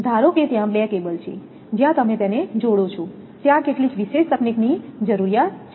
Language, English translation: Gujarati, Suppose, 2 cables are there where you joint it some special technique is required